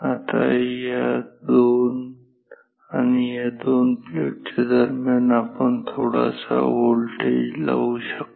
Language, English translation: Marathi, Now, this between these two and these two plates, you can apply some voltage difference